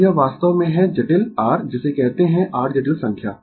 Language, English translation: Hindi, So, this is actually complex your what you call your complex number